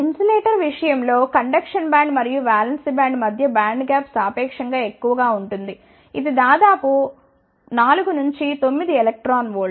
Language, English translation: Telugu, In case of insulator the band gap between the conduction band and the valence band is relatively high it is of the order of 4 to 9 electron volt